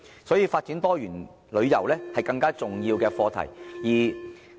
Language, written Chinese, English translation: Cantonese, 所以，發展多元旅遊是更加重要的課題。, As such the development of diversified tourism is a more important subject